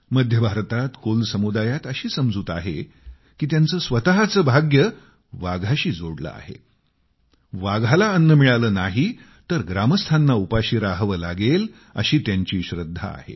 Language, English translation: Marathi, There is a belief among the Kol community in Central India that their fortune is directly connected with the tigers and they firmly believe that if the tigers do not get food, the villagers will have to facehunger